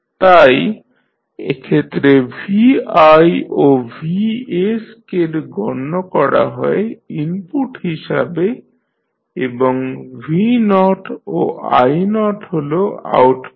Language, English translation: Bengali, So, vi and vs are considered as an input in this case and v naught i naught are the outputs